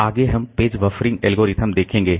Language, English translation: Hindi, Next we'll be looking into page buffering algorithms